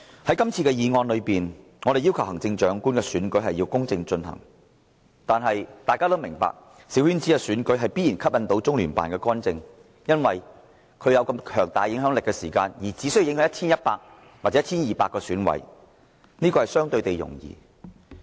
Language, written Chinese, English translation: Cantonese, 在今次的議案中，我們要求行政長官的選舉要公正進行，但大家都明白小圈子選舉必然吸引中聯辦的干預，因為他們有這麼強大的影響力，而且只需要影響 1,100 或 1,200 名選委便足夠，這目標相對容易達成。, In this motion we request the Government to ensure that the Chief Executive Election be conducted under fair conditions . However we all understand that a small - circle election will certainly attract LOCPGs intervention because it has such strong influence and it only has to influence 1 100 or 1 200 EC members . This goal is relatively easy to reach